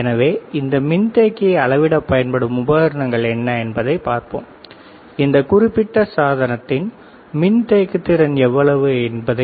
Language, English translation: Tamil, So, we will also see how what is the equipment used to measure this capacitor, there is the capacitance of this particular device